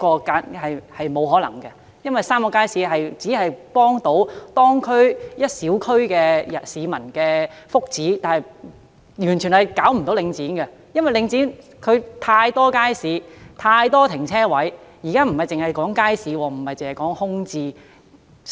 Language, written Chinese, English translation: Cantonese, 答案是沒可能的，因為3個街市只會對一個小區的當區市民的福祉有幫助，對領展卻毫無影響，因為它擁有太多街市和泊車位，況且現在我們並非純粹討論街市或空置問題。, The answer is that it is impossible because the three markets will only be conducive to the well - being of residents in the respective local communities . There will be little impact on Link REIT because it owns too many markets and parking spaces . What is more now we are not simply discussing the problem of markets or vacancies